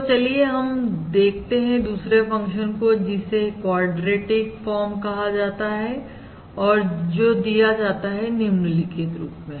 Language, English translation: Hindi, Now let us look at another function, which is termed as the quadratic form, and this is given as follows